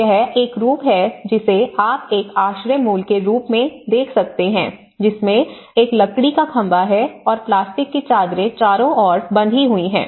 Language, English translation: Hindi, So, that is one of the form which you can see a shelter prototype which has a timber post and as you see plastic sheets has been tied around